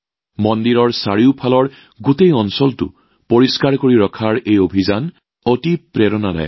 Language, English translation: Assamese, This campaign to keep the entire area around the temples clean is very inspiring